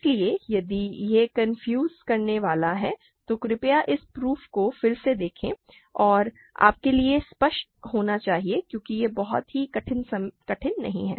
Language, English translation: Hindi, So, if it is confusing please just go over this proof again and it should be clear to you because it is not very difficult at this point